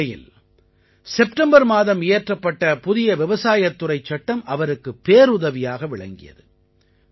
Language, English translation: Tamil, In this situation, the new farm laws that were passed in September came to his aid